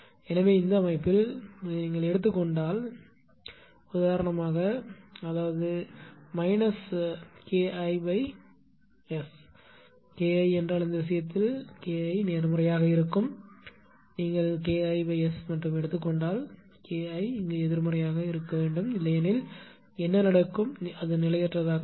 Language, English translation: Tamil, So, in this case your ah what you call that ah if you take for this system; if you take for example, that is minus K I upon S we have taken that if K I is in this case K I will be positive; if you take minus K I upon S if you take only K I upon S then K I should be negative, but I have taken minus K I otherwise what will happen system will become unstable right